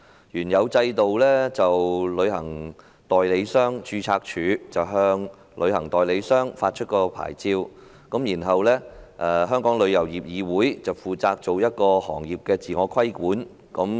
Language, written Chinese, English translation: Cantonese, 原有的制度是由旅行代理商註冊處向旅行代理商發出牌照，而香港旅遊業議會則負責行業的自我規管。, Under the original regime the Travel Agents Registry is responsible for the licensing of travel agents whereas the Travel Industry Council of Hong Kong TIC is responsible for trade self - regulation